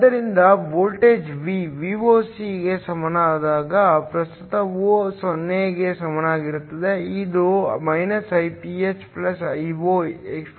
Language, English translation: Kannada, So, when voltage V is equal to Voc, which implies current is equal to 0; this is Iph + Io exp